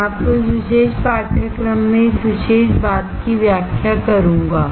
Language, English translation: Hindi, I will explain you in this particular course this particular thing